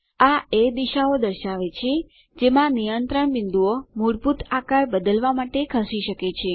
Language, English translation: Gujarati, This indicates the directions in which the control point can be moved to manipulate the basic shape